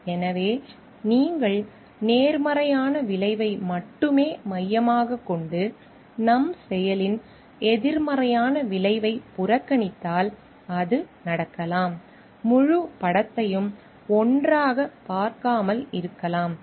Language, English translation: Tamil, So, it may so happen if you just focusing on the positive outcome and we are ignoring the negative outcome of our action, we may not be seeing the whole picture together